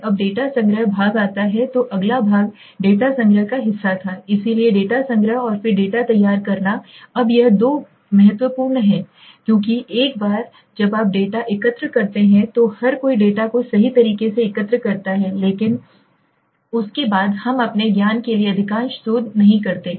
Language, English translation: Hindi, Now comes the data collection part right so the next part was the data collection part so data collection and then data preparation so now this two are very important because once you collect the data everybody collects the data right but then after that we do not most of the researches to my knowledge at least I have seen that the do not look at the data condition right